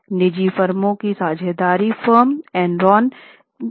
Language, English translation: Hindi, Private firms, partnership firms were valid investment for Enron